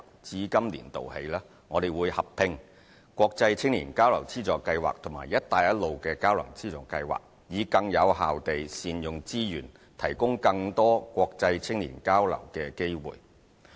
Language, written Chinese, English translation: Cantonese, 至今年度起，我們會合併國際青年交流資助計劃和"一帶一路"交流資助計劃，以更有效地善用資源，提供更多國際青年交流機會。, Starting from this year the Funding Scheme for International Youth Exchange and the Funding Scheme for Exchange in Belt and Road Countries will be merged to ensure more effective use of resources and more international youth exchange opportunities